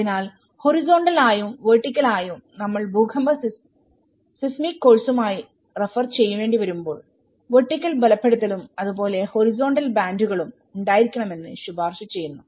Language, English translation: Malayalam, So horizontally and vertically when we need to refer with the earthquake seismic course which recommends that have a vertical reinforcement and as well as the horizontal bands